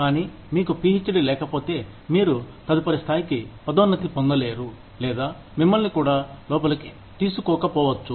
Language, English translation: Telugu, But, if you do not have a PhD, you will not be promoted to the next level, or, you may not even be taken in